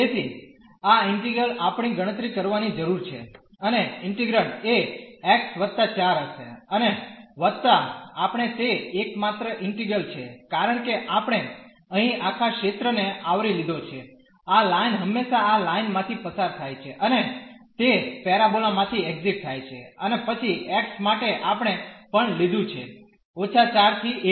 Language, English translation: Gujarati, So, this integral we need to compute and the integrand will be x plus 4 and plus we have to yeah that is the only integral because we have cover the whole region here, this line is always entering through this line and exit from that parabola and then for x we have also taken from minus 1 minus 4 to 1